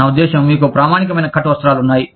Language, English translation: Telugu, I mean, you have standardized cut garments